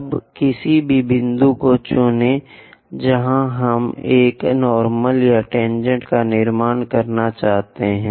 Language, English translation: Hindi, Now, pick any point where we would like to construct a normal or tangent